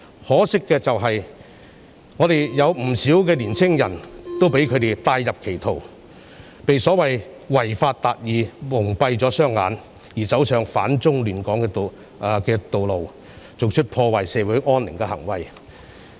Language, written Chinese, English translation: Cantonese, 可惜，香港有不少年輕人被他們帶入歧途，被所謂違法達義蒙蔽雙眼，走上反中亂港的道路，做出破壞社會安寧的行為。, Regrettably many young people in Hong Kong are led astray by them . Blinded by the idea of so - called achieving justice by violating the law they take the path of opposing China and upsetting order in Hong Kong disrupting social peace